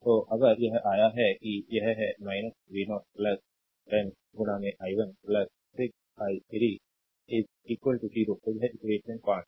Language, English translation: Hindi, So, if you come to this that, this is minus v 0 plus 10 into i 1 plus 6 i 3 is equal to 0